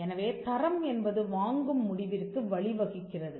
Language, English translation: Tamil, So, quality leads to a purchasing decision